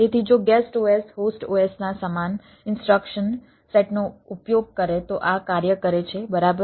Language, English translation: Gujarati, so this works if the guest os uses the same instruction set of the os host os, right